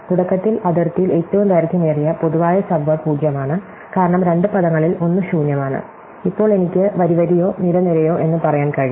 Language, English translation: Malayalam, So, initially at the boundary every longest common subword is 0, because one of the two words is empty and now, I can do it say row by row or column by column